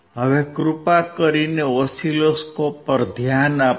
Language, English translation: Gujarati, Now please focus on the oscilloscope